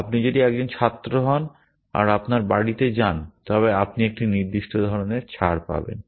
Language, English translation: Bengali, If you are a student going home you get a certain kind of concession and that kind of stuff